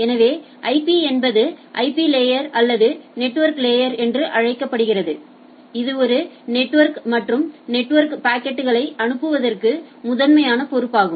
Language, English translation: Tamil, So, IP as such is IP layer or it is also known as the network layer is primarily responsible for forwarding packet from one network to another right